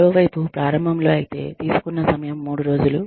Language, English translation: Telugu, On the other hand, if initially, the time taken was, 3 days